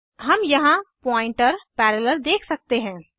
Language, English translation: Hindi, We can see here pointer parallel